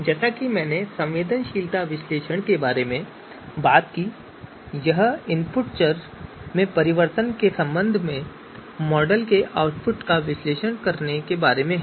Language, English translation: Hindi, Because we as I talked about the sensitivity analysis is about you know you know analyzing the analyzing the you know output of model with respect to changes in the input variables